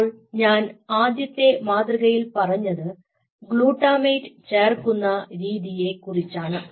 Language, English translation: Malayalam, so first paradigm is, i told you about, addition of glutamate step